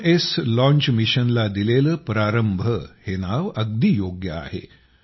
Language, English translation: Marathi, Surely, the name 'Prarambh' given to the launch mission of 'VikramS', suits it perfectly